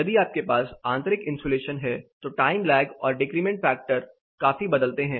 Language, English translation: Hindi, If you have internal insulation the time lag and decrement factor considerably varies